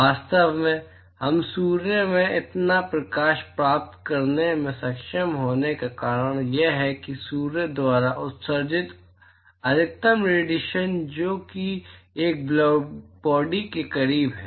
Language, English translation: Hindi, In fact, the reason why we are able to get so much light from sun is because the maximum radiation that is emitted by Sun which is close to a blackbody